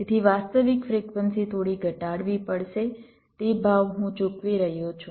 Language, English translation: Gujarati, so the actual frequency has to be reduced a little bit